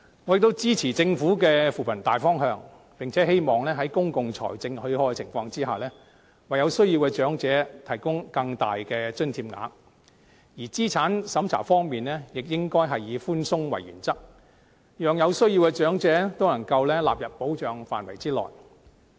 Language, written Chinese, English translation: Cantonese, 我支持政府的扶貧大方向，並希望在公共財政許可的情況下，為有需要的長者提供更大的津貼額；而資產審查方面，亦應該以寬鬆為原則，讓有需要的長者都能獲納入保障的範圍內。, I support the broad direction of the Governments poverty alleviation efforts hoping that as far as our public finances permit subsidies of a greater sum can be disbursed to the needy elderly people . And speaking of an assets test the principle of leniency should be adopted so that the needy elderly people can be included in the scope of protection